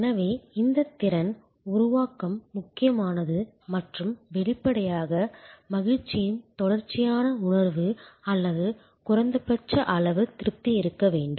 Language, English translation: Tamil, So, this competency build up is important and; obviously, there has to be a continuing sense of happiness or minimum level of satisfaction